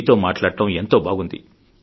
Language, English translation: Telugu, It was nice talking to you